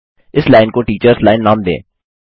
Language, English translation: Hindi, Let us name this line as Teachers line